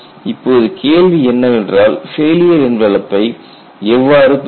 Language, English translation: Tamil, Now the question is how to get the failure envelop